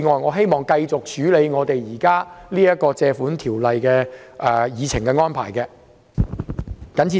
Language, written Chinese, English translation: Cantonese, 我希望繼續處理這項根據《借款條例》提出擬議決議案的議程。, I hope to continue to deal with the Agenda item relating to the proposed resolution moved under the Loans Ordinance